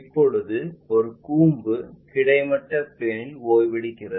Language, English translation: Tamil, Now, if a cone is resting on a horizontal plane